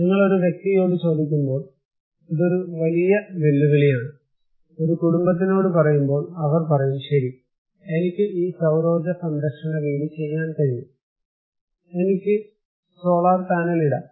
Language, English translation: Malayalam, but this is a great challenge, when you are asking one person; one household, they said okay, I can do this solar power energy saving house in my; I can put solar panel